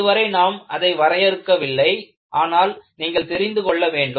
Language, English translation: Tamil, Although, we may not define it now, you will know what it is